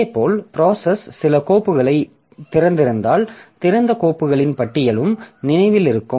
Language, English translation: Tamil, Similarly if the process has opened some files then this list of open files is also remembered